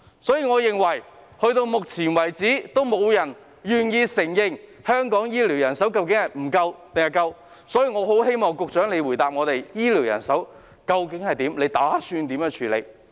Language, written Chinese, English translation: Cantonese, 截至目前，沒有人願意承認香港醫療人手是否足夠，所以我希望局長回答我們，究竟醫療人手的情況為何，以及她打算如何處理。, So far no one is willing to acknowledge whether the healthcare manpower in Hong Kong is adequate . Therefore I implore the Secretary to tell us about the manpower situation of the healthcare sector and what she intends to do about it